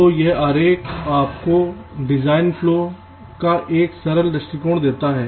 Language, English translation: Hindi, ok, so this diagram gives you a simplistic view of design flow